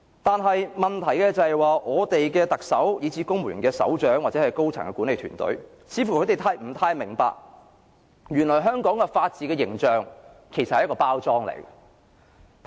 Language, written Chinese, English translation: Cantonese, 但問題是，我們的特首、公務員的首長，或高層的管理團隊，似乎不太明白原來香港法治的形象只是一個包裝。, However the problem is our Chief Executive as well as chiefs and senior officials of the civil service do not realize that Hong Kongs upholding of the rule of law is essentially a packaged image